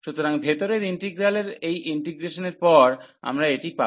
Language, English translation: Bengali, So, after this integration of the inner integral, we will get this